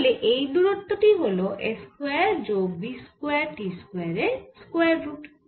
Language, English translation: Bengali, so this distance will be square root, s square plus v square t square